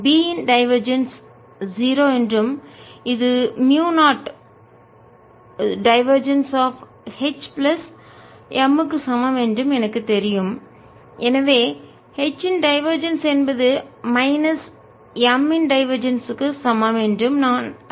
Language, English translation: Tamil, as we know that divergence of b equal to zero and divergence of m is proportional to divergence of b, so divergence of m is also equal to zero